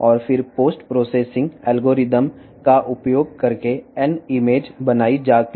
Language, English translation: Telugu, And, then by using the post processing algorithms the N image is created